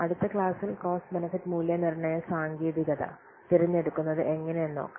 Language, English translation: Malayalam, So, we will take up the selection of cost benefit evaluation technique in the next class